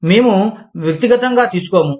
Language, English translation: Telugu, We will not get personal